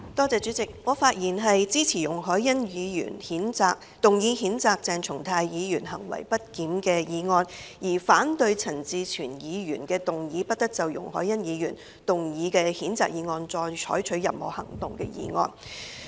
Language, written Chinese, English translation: Cantonese, 主席，我發言支持容海恩議員動議譴責鄭松泰議員行為不檢的議案，並反對陳志全議員動議"不得就容海恩議員動議的譴責議案再採取任何行動"的議案。, President I speak in support of the motion moved by Ms YUNG Hoi - yan to censure Dr CHENG Chung - tai for misbehaviour and in opposition to the motion moved by Mr CHAN Chi - chuen to the effect that no further action shall be taken on the censure motion moved by Ms YUNG Hoi - yan